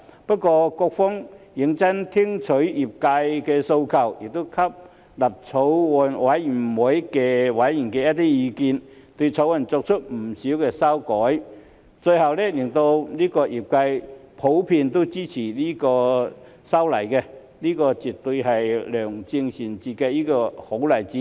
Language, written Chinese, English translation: Cantonese, 不過，局方認真聆聽業界的訴求，亦吸納法案委員會委員的意見，對《條例草案》作出不少修改，最後令業界都普遍支持這次修例，這絕對是良政善治的好例子。, However the Bureau has seriously listened to the industrys aspirations and taken on board the views of members of the Bills Committee and made many changes to the Bill . As a result the industry generally supports the legislative amendments . This is definitely a good example of good governance